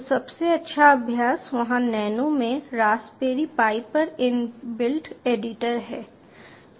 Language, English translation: Hindi, so best practice is there is a in built editor on the raspberry pi, in nano